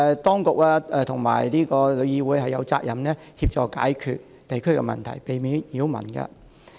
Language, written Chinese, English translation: Cantonese, 當局和旅議會有責任協助解決地區的問題，避免擾民。, The Administration and TIC are duty - bound to resolve the district - wide problems and avoid causing disturbances to the residents